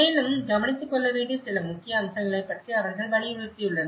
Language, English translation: Tamil, And they have emphasized about few important aspects how to be taken care of